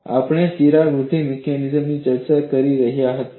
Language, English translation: Gujarati, We are not discussing crack growth mechanism